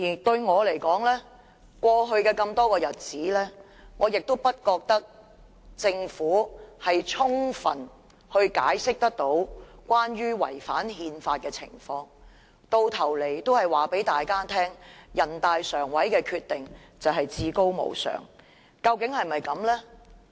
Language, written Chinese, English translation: Cantonese, 對我而言，過去多個日子，我亦不覺得政府有充分解釋違反憲法的情況，到頭來只是告訴大家，人大常委會的決定是至高無上的。, To me I do not think the Government has thoroughly explained why the Bill has not contravened the Constitution . At the end of the day they only tell us that the Decision of NPCSC is supreme